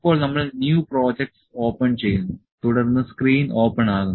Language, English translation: Malayalam, Now, we open the new project the projects, the open the new project the screen opens